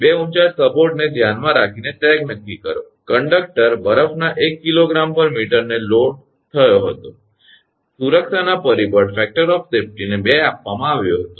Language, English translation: Gujarati, Determine the sag with respect to the taller of the 2 support right, conductor was loaded due to 1 kg of ice per meter, and factor of safety is given 2 right